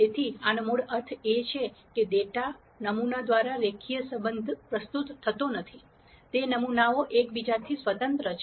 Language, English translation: Gujarati, So, this, this basically means that the data sampling does not present a linear relationship; that is the samples are independent of each other